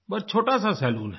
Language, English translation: Hindi, A very small salon